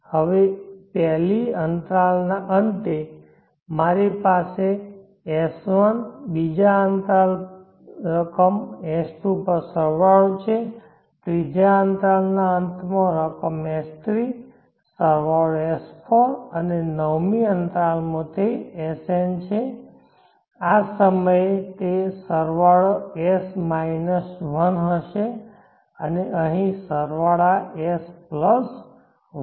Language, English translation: Gujarati, Now at the end of the 1st interval I have sum s1 at the 2nd interval sum s2 at the end of 3rd interval sum s3, sum s4 and at the nth interval it is sn, at this point it will be sum s – 1 and here sum s + 1